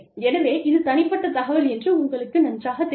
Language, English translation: Tamil, So again, you know, this is personal information